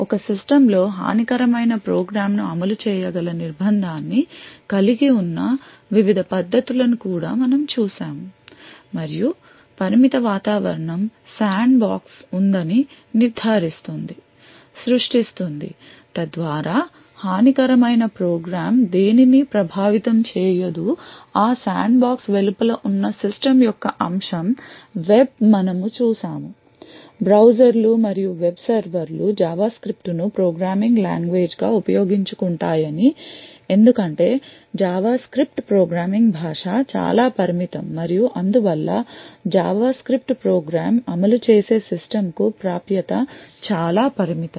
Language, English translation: Telugu, We have also looked at various techniques by which we could have confinement wherein a malicious program could be executed in a system and the confined environment makes sure that there is a sandbox and the confined environment creates a sandbox so that the malicious program does not influence any aspect of the system outside of that sandbox we had also seen that web browsers and web servers make use of JavaScript as the programming language essentially because JavaScript is a programming language which is highly restrictive and therefore access to the system in which a JavaScript program executes is very limited